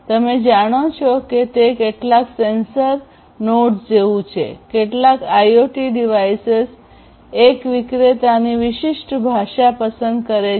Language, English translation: Gujarati, You know it is somewhat like some sensor nodes, some IoT devices pick one specific vendor specific language